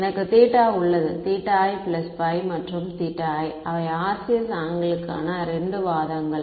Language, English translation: Tamil, I have theta i plus pi and theta i those are the 2 arguments to the RCS angle